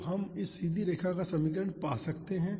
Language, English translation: Hindi, So, we can find the equation of this straight line